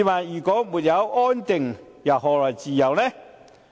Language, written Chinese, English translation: Cantonese, 如果沒有安定，又何來自由呢？, Without stability how can we enjoy freedom?